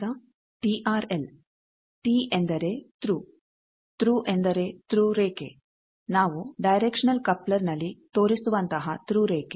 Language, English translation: Kannada, Now, TRL T stands for Thru, Thru means a Thru line as we are showing in a direction coupler that thru line